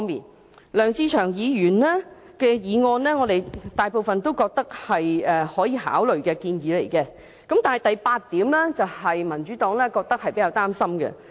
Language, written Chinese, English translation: Cantonese, 就梁志祥議員的議案，我們覺得大部分建議是可予以考慮的，但當中的第八項令民主黨較為擔心。, In regard to Mr LEUNG Che - cheungs motion we think that most of the suggestions can be considered except for item 8 that worries the Democratic Party